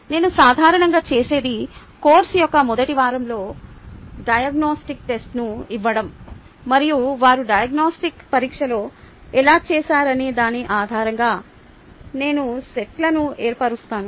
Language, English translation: Telugu, ok, what i normally do is ah give a diagnostic test in the first week of the course and, based on how they have done in the diagnostic test, i form sets the diagnostic test itself